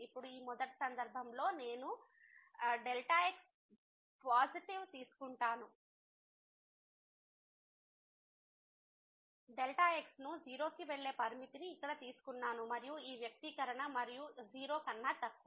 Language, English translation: Telugu, And now, I will take in this first case when I have taken here the positive the limit that goes to and this expression and the less than